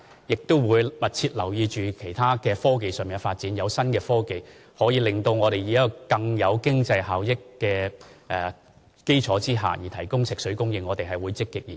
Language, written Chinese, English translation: Cantonese, 我們也會密切留意其他科技上的發展，當有新科技可以讓我們在更具經濟效益的基礎上提供食水供應，我們會積極研究。, We will also pay close attention to other developments in technology . We will actively study any new technology that allows us to provide potable water supply in a more cost - effective manner